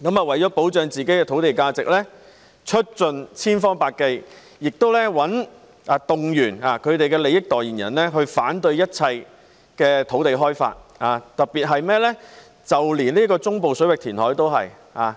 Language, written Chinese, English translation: Cantonese, 為了保障自己土地的價值，他們會出盡千方百計，動員其利益代言人反對一切土地開發，連中部水域填海也反對。, Thus they will exhaust all means to safeguard the value of their land and mobilize spokespersons to defend their interests by opposing all land development projects including the reclamation in the Central Waters